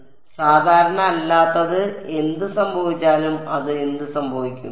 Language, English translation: Malayalam, So, whatever hits non normally what will happen to it